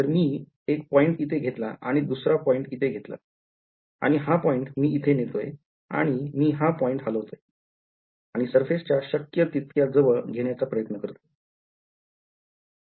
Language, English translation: Marathi, So, if I take 1 point over here and 1 point over here and I move this point over here, and I move this point I am trying to move as close as possible to the surface